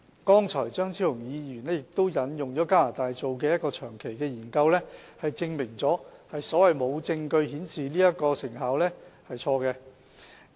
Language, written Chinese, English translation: Cantonese, 剛才，張超雄議員亦引用了加拿大的一個長期研究，證明"無證據顯示成效"的說法是錯誤的。, Dr Fernando CHEUNG has also cited a long - term study in Canada just now which proves the statement no evidence of effectiveness wrong